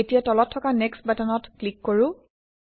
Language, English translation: Assamese, Now let us click on the Next button at the bottom